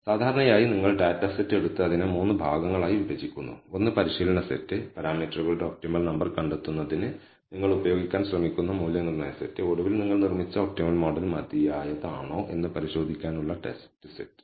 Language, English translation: Malayalam, So, typically you take the data set and you divide it into three parts, one the training set the validation set where you are trying to use for finding the optimal number of parameters and finally, the test set for to see whether the optimal model you have built is good enough